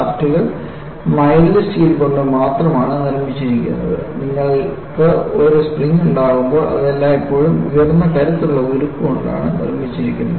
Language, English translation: Malayalam, Shafts are made of only mild steel and when you have a spring, it is always made of high strength steel